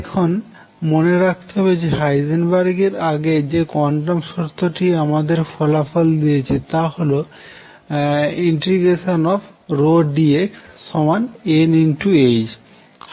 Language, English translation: Bengali, Now, recall that the quantum condition that gave us results before Heisenberg paper was this condition pdx equals n h